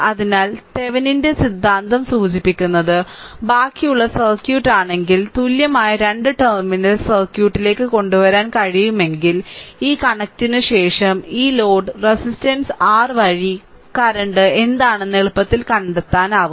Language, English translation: Malayalam, So, but Thevenin’s theorem suggests that if you if you just rest of the circuit, if you can bring it to an equivalent two terminal circuit, then after that you connect this one you can easily find out what is the current flowing through this load resistance R right